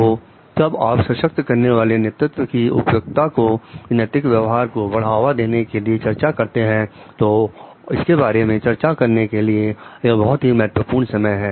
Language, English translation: Hindi, So, when you are discussing the suitability of empowering leadership from for promoting ethical behavior it is a very important juncture to discuss about it